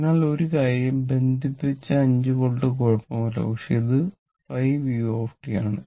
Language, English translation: Malayalam, So, one thing is there that this is ok this 5 volt is connected, but this is 5 u t right